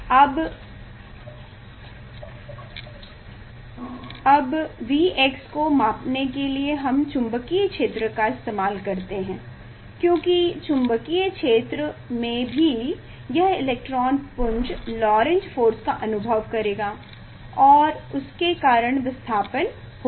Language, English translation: Hindi, now to measure the V x, we use magnetic field, because this in magnetic field also there will be this electron beam will experience Lorentz Force and due to that there will be displacement